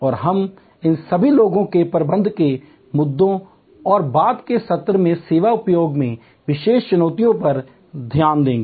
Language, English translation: Hindi, And we will look at all these people management issues and the particular challenges in the service industry in the later session